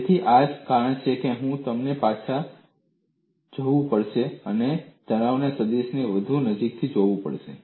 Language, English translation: Gujarati, So, that is the reason why I said you have to go back and look at stress vector more closely